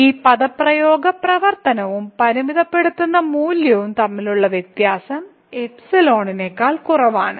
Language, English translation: Malayalam, So, this expression the difference between the function and the limiting value is less than epsilon